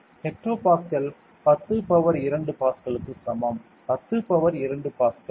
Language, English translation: Tamil, A hectopascal is equal to 10 power 2 Pascal; 10 power 2 Pascal